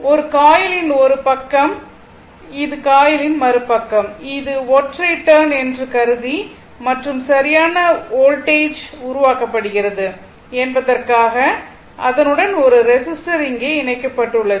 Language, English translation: Tamil, Then, this coil this is one side of the coil, this is other side of the coil assuming it is a single turn, right and with that one there is one resistor is connected here such that proper whether voltage is generated